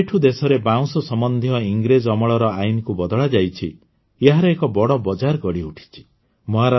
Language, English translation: Odia, Ever since the country changed the Britishera laws related to bamboo, a huge market has developed for it